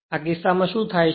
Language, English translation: Gujarati, So, in this case